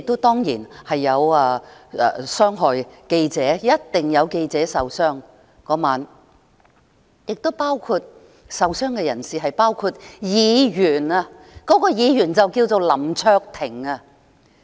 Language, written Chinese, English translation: Cantonese, 當然亦有傷及記者，當晚一定有記者受傷，而受傷人士亦包括議員，該議員名叫林卓廷。, During that night some reporters were surely injured while a Member was also among those injured and this Member is called Mr LAM Cheuk - ting